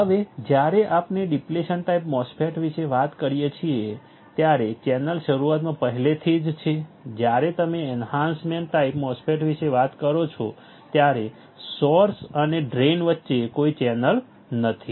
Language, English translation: Gujarati, Now when we talk about depletion type MOSFET, the channel is already there in the beginning, when you talk about enhancement type MOSFET there is no channel between source and drain